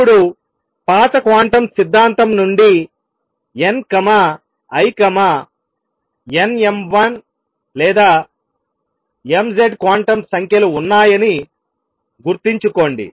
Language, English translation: Telugu, Now remember from the old quantum theory I had n l n m l or m z quantum numbers